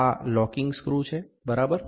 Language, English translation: Gujarati, This is the locking screw, ok